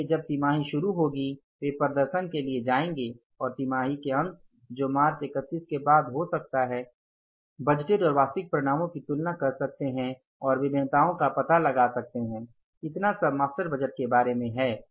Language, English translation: Hindi, So when the quarter will start, they will go for the performance and at the end of the quarter maybe after March, 31st March, they can compare the budgeted and the actual results and find out the variances